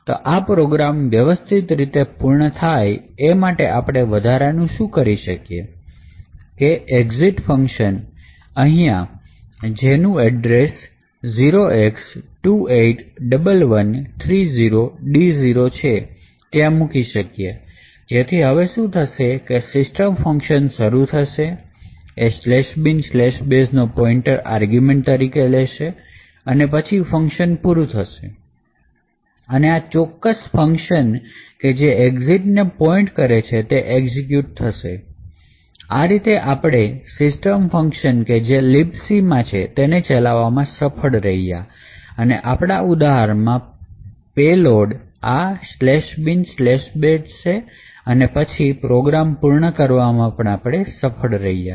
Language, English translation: Gujarati, Now in order that we terminate this particular program properly what we can additionally do is add a function exit over here which essentially has the address 281130d0, so therefore what happens now is the system function executes it takes slash bin slash bash pointer as argument and after that function completes this particular function which points to the exit function would get executed